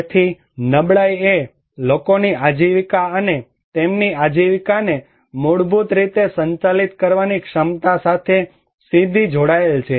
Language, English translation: Gujarati, So, vulnerability is directly connected with people's livelihood and their capacity to manage their livelihood basically